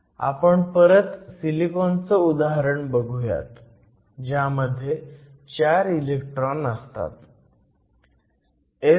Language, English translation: Marathi, So, let us go back to a model of silicon, you said silicon has four electrons